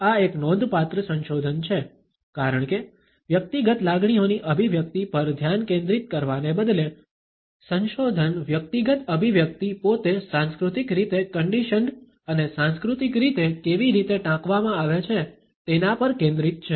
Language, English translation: Gujarati, This is a significant research, because instead of focusing on the expression of individual emotions, the research has focused on how the individual expression itself is culturally conditioned and culturally quoted